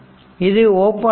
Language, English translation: Tamil, So, this is open